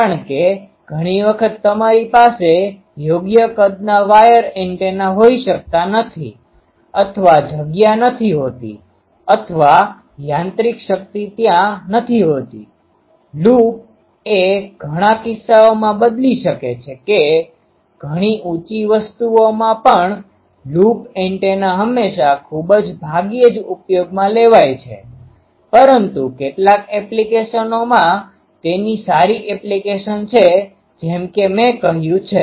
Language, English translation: Gujarati, Because many times you cannot have a wire antenna of proper size or the space is not there or the mechanical strength is not there; loop can um replace that in many cases, in many high and things also a loop antenna sometimes are used not always very rarely, but in some applications they are good applications as I said ok